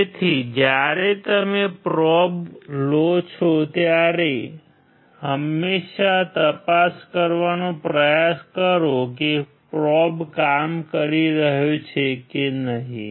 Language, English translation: Gujarati, So, when you take a probe always try to see whether probe is working or not